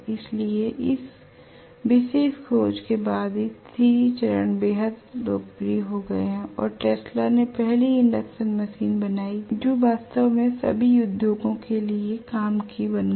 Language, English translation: Hindi, So 3 phase became extremely popular only after this particular discovery was made and Tesla made the first induction machine which actually became the work horse of for all the industries